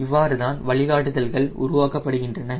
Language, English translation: Tamil, ok, that is how the guidelines are generated